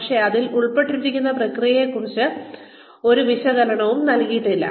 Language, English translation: Malayalam, But, it did not offer any explanation of the processes involved